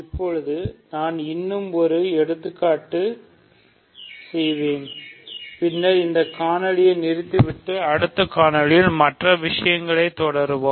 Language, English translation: Tamil, So now, I will do one more example and then we will stop this video and continue with other things in the next video ok